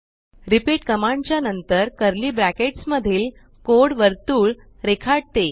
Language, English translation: Marathi, repeat command followed by the code in curly brackets draws a circle